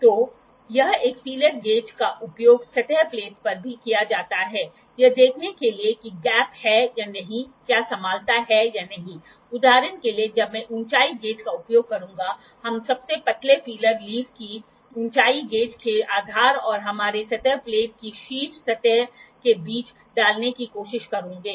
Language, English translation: Hindi, So, this is a feeler gauge feeler gauge is also be used on the surface plate to see if there is a gap if there is the flatness or not, for instance when I will use the height gauge we will try to insert the thinnest of the feeler leaf between the base of the height gauge and the top surface of our surface plate only